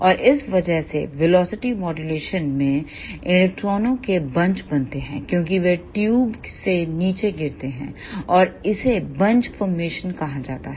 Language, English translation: Hindi, And because of this velocity modulation electrons form bunches as they drift down the tube and that is called as bunch formation